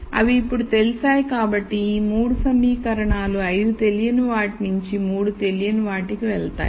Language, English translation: Telugu, So, those are now known so these 3 equations will go from 5 unknowns to 3 unknowns